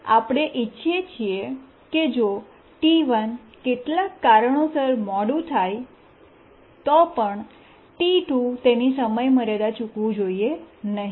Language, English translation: Gujarati, So, we want that even if T1 gets delayed due to some reason, T2 should not miss its deadline